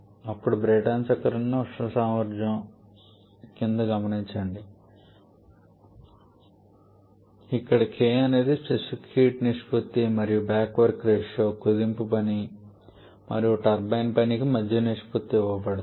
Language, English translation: Telugu, Then the thermal efficiency for a Brayton cycle that is 1 1 upon R P to the power k 1 upon k where k is the ratio of specific heats and the back work ratio is given as the ratio of compression work to the turbine work